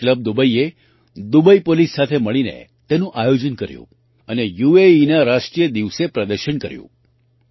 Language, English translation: Gujarati, Kalari club Dubai, together with Dubai Police, planned this and displayed it on the National Day of UAE